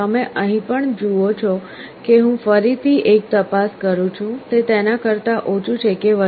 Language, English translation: Gujarati, You see here also I again make a check whether it is less than or greater than